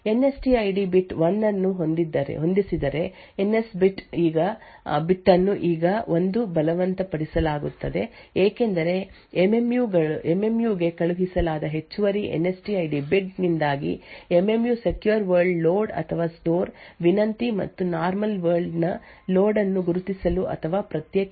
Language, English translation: Kannada, If the NSTID bit set 1 then the NS bit is forced to 1 now this because of this additional NSTID bit which is sent to the MMU the MMU would be able to identify or distinguish between secure world load or store request and a normal world load or store request